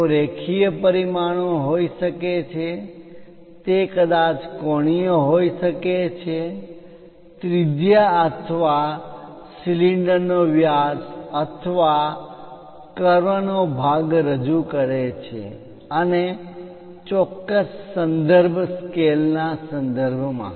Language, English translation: Gujarati, They can be linear dimensions, it can be angular perhaps representing radius or diameter of a cylinder or part of a curve and with respect to certain reference scale